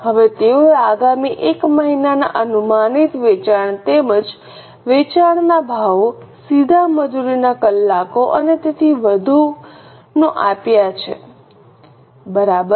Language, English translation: Gujarati, Now they have given the data about the next one month projected sales as well as sale prices, direct labour hours and so on